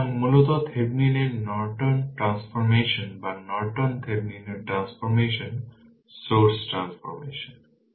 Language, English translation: Bengali, So, basically Thevenin’s Norton transformation or Norton Thevenin’s transformation right source transformation is so